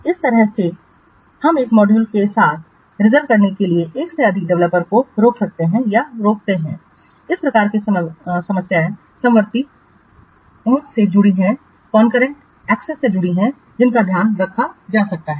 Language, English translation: Hindi, So, in this way we can prevent or the tool can prevent more than one developer to simultaneously reserved a module, thus the problems which are associated with the concurrent assets that can be taken care of